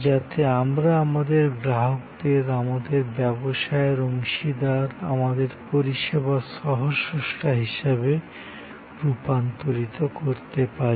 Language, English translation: Bengali, So, that we can convert our customers into our business partners, our service co creators